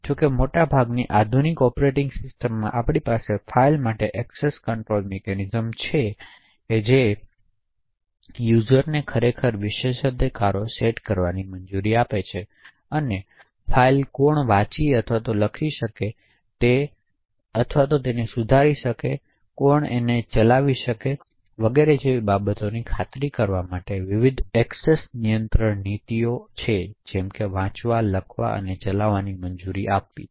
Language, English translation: Gujarati, However, in most modern operating systems we have access control mechanisms for files which would permit users to actually set privileges and various access control policies like read, write and execute to ensure who can read files, who can write or modify their files and who can execute corresponding programmes